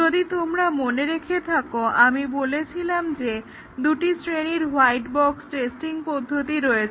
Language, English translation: Bengali, If you remember we had said that there are basically two categories of white box testing techniques